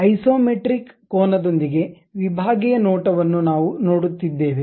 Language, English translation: Kannada, The sectional view with isometric angle we Isometric view we are seeing